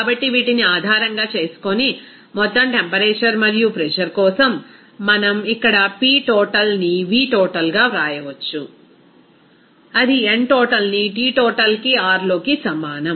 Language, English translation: Telugu, So based these, we can say that this for the total temperature and pressure, we can also write here that P total into V total that will be is equal to n total into T total into R